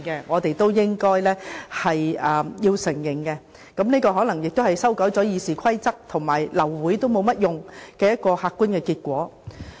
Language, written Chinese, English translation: Cantonese, 我們也應該承認，這可能亦是修改《議事規則》後，流會沒有作用的客觀結果。, We should also admit that the improvement is the objective result of the amendments to the Rules of Procedure because it serves no purpose to cause the abortion of a meeting due to a lack of quorum